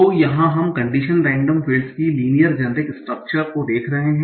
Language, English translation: Hindi, So here is here we are seeing the linear chain structure of condition and dumb fields